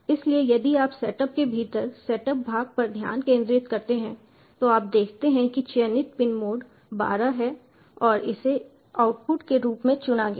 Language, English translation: Hindi, so if you concentrate on the setup part within the setup you see the pin mode selected is twelve and it has been selected, has output, basically translates to pin twelve, built act as output